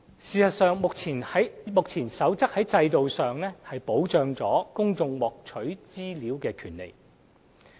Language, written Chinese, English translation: Cantonese, 事實上，目前的《守則》在制度上亦保障公眾獲取資料的權利。, In fact the Code safeguards the rights of the public in their access to information